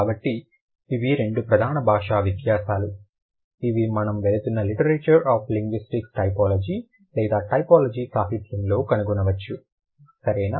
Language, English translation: Telugu, So, these are the two major cross linguistic differences that we are going to, or we find in the typology literature, literature of linguistics typology